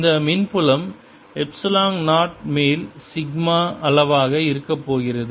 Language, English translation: Tamil, the electric field is going to be sigma over epsilon zero